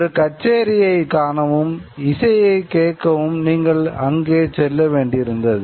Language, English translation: Tamil, You have to go to a concert to be able to watch it, to be able to listen to music